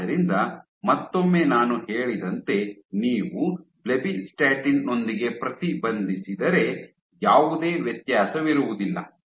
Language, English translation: Kannada, So, once again as I said that if you inhibit with blebbistatin, there is no differentiation